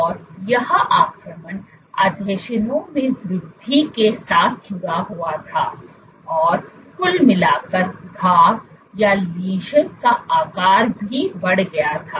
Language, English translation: Hindi, And this invasion was associated with increased in adhesions and overall the lesion size was in also increased